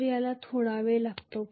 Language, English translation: Marathi, So it is going to take a little while